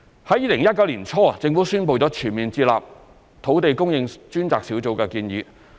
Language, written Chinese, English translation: Cantonese, 在2019年年初，政府宣布全面接納土地供應專責小組的建議。, In early 2019 the Government announced its full acceptance of the recommendations of the Task Force on Land Supply